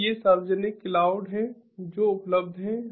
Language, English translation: Hindi, so these are public cloud that are that are available